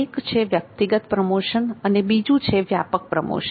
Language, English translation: Gujarati, One is the personal promotion and another is impersonal promotion